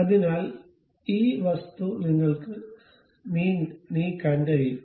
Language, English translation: Malayalam, So, this one can move on this object